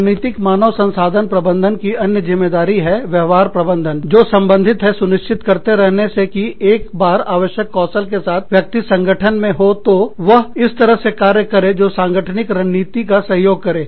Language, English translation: Hindi, The other responsibility of, strategic human resource management is, behavior management, which is concerned with ensuring that, once individuals with the required skills are in the organization, they act in ways, that support the organizational strategy